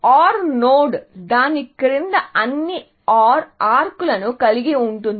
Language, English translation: Telugu, So, an OR node has all OR arcs below it